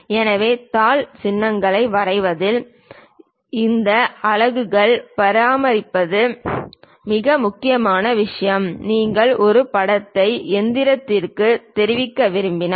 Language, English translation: Tamil, So, on drawing sheet symbols dimensioning these units are the most important thing, if you want to convey a picture to machinist